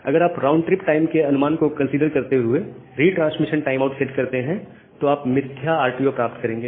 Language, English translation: Hindi, And if you set retransmission timeout by considering that RTT estimation you will get some spurious RTO’s